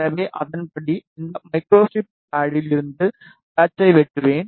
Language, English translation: Tamil, So, accordingly I will cut the patch from this microstrip pad